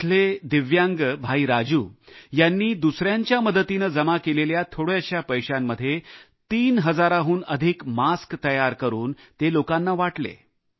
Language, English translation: Marathi, Divyang Raju through a small investment raised with help from others got over three thousand masks made and distributed them